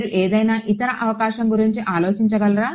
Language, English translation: Telugu, Can you think of any other possibility